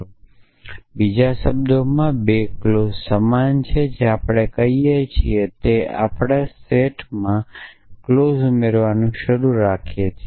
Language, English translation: Gujarati, Then 2 set of clauses are equal in other words what we are saying is that we can keep adding clauses to the set